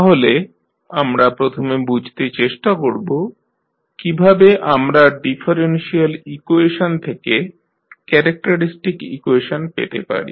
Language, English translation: Bengali, So, first we will understand how we get the characteristic equation from a differential equation